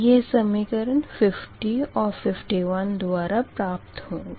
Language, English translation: Hindi, this is equation fifty seven